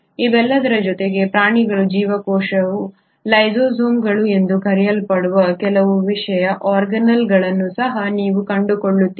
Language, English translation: Kannada, In addition to all this you also find that animal cells have some other special organelles which are called as the lysosomes